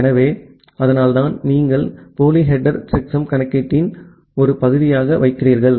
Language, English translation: Tamil, So, that is why you put the pseudo header as a part of the checksum computation